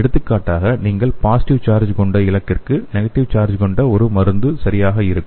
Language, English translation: Tamil, For example if you are having a target with the positive charge and it will be nice if you have a drug with negative charge